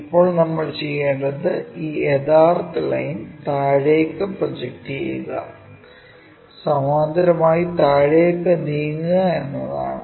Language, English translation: Malayalam, Now, what we have to do is project these true lines all the way down, move parallel all the way down